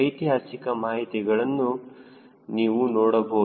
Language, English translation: Kannada, you can see historical data